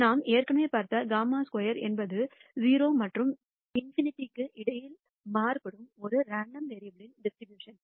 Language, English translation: Tamil, We already saw the chi squared is a distribution of a random variable which varies between 0 and in nity